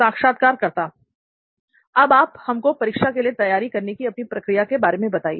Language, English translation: Hindi, Can you just take us through the process of your preparation for exam